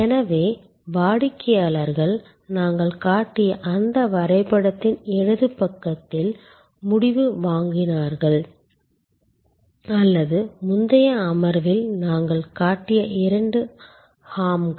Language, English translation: Tamil, So, customers purchased decision on the left side of that graph that we showed or the two hams that we showed in the previous session